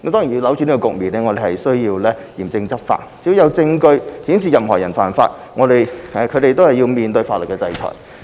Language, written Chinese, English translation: Cantonese, 要扭轉這個局面，我們須嚴正執法，只要有證據顯示任何人犯法，都要面對法律制裁。, To turn around this situation we must take stringent law enforcement actions . If there is evidence that someone violates the law the offender must face legal sanctions